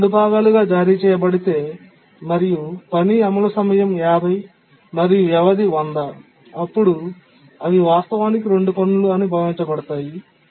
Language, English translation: Telugu, So if you want to split into two parts, and the task execution time was, let's say, 50 and period was 100, we assume that it's actually two tasks